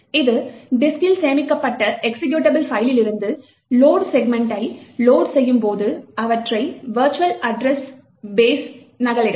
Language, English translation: Tamil, It would then load segments from the executable file stored on the hard disk and copy them into the virtual address base